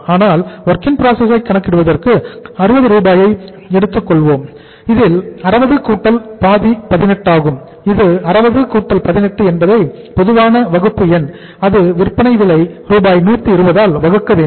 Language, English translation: Tamil, But for calculating the WIP we will take that is 60 plus half of this is 18 that is 60 plus 18 to be divided by the common denominator that is the selling price that is 120